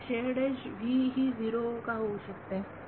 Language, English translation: Marathi, Why could the shared edge v will become 0